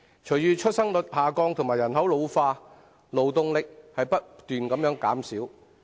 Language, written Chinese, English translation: Cantonese, 隨着出生率下降及人口老化，勞動力只會不斷減少。, As the birth rate declines and the population ages the workforce will only decrease